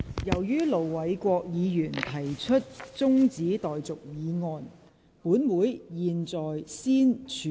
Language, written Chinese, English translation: Cantonese, 由於盧偉國議員提出了中止待續議案，本會現在先處理這項議案。, As Ir Dr LO Wai - kwok has moved an adjournment motion this Council now deals with this motion first